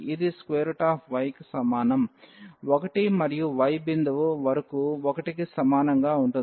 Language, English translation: Telugu, And also the value of y is 1 and at this point here the value of y is 2